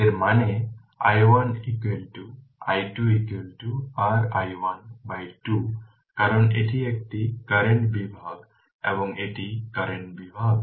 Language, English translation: Bengali, This is; that means, i 1 is equal to sorry i 2 is equal to your i 1 by 2 right because it is a current division right it is a current division